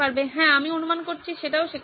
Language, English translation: Bengali, Yes, that is also there I guess